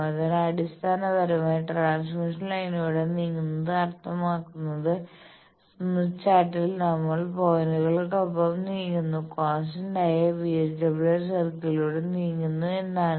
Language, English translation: Malayalam, So, basically moving along transmission line means; now come back to the slide that moving along the transmission line means, in the Smith Chart we move along points move along a constant VSWR circle